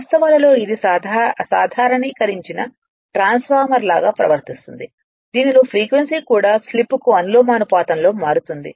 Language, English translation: Telugu, It i[n] it in facts behaves like a generalized transformer in which the frequency is also transformed in proportion to slip